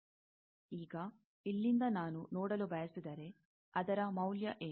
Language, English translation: Kannada, Now, from here, if I want to look, what will be the value